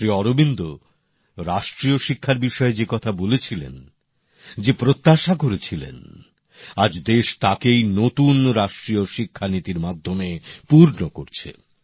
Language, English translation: Bengali, Whatever Shri Aurobindosaid about national education and expected then, the country is now achieving it through the new National Education Policy